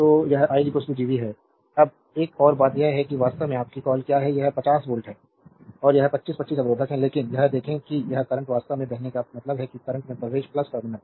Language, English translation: Hindi, So, it is i is equal to Gv, now another thing is that there actually your what you call this is 50 volt, and this is 25 ohm resistor, but look at that this current actually flowing this means current entering into the plus terminal